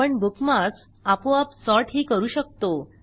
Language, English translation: Marathi, You can also sort bookmarks automatically